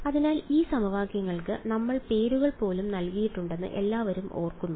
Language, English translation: Malayalam, So, everyone remember this we had even given names to these equations